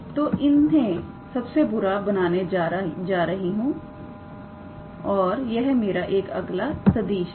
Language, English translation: Hindi, So, I am going to make them worse and this one is another vector